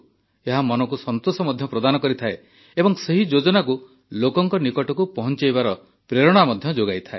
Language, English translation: Odia, It also gives satisfaction to the mind and gives inspiration too to take that scheme to the people